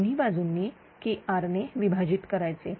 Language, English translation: Marathi, Both side you divide by KR